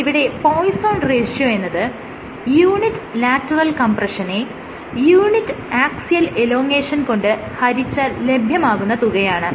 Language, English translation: Malayalam, Poisson’s ratio is given by unit lateral compression by unit axial elongation